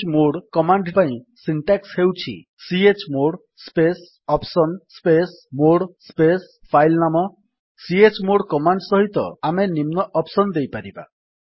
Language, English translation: Odia, Syntax of the chmod command is chmod space [options] space mode space filename space chmod space [options] space filename We may give the following options with chmod command